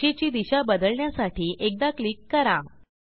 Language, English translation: Marathi, Click once to change direction of line